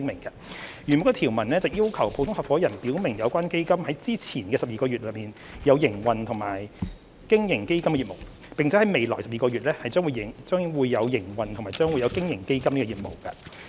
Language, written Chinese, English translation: Cantonese, 原有的條文要求普通合夥人表明有關基金在之前的12個月內，有營運或有經營基金的業務，並在未來12個月內，將會營運或將會經營基金的業務。, The original clause requires general partners to declare that their funds has been in operation or has carried on business as a fund in the preceding 12 months and will be in operation or will carry on business as a fund in the coming 12 months